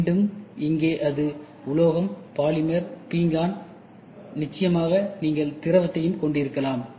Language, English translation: Tamil, Again here it can be metal, polymer, ceramic, and of course you can also have liquid